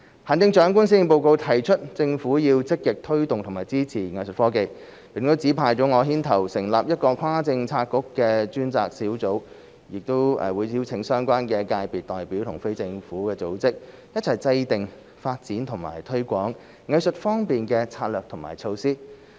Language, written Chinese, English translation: Cantonese, 行政長官在施政報告提出政府要積極推動和支持藝術科技，並指派我牽頭成立一個跨政策局的專責小組，亦會邀請相關界別代表和非政府組織，一起制訂發展及推廣藝術科技的策略和措施。, In the Policy Address the Chief Executive has indicated that the Government will actively promote and support Art Tech . And she has asked me to take the lead in setting up a cross - policy - bureau task force and invite the participation of representatives from the relevant sectors and non - government organizations to formulate strategies and measures to develop and promote Art Tech